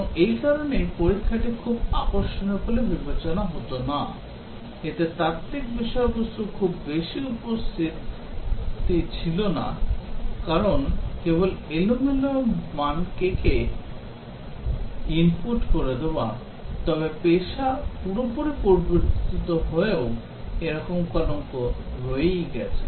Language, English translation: Bengali, And that is the reason why testing was considered to be not very attractive, did not have too much of intellectual content on that because inputting only random values, but somehow that stigma has remained even though the profession has changed completely